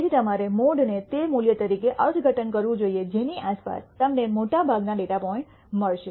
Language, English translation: Gujarati, So, you should interpret the mode as that value around which you will find most of the data points